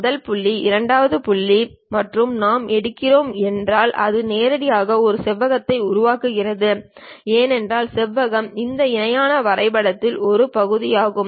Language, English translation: Tamil, First point, second point, if we are picking, then it construct directly a rectangle because rectangle is part of this parallelogram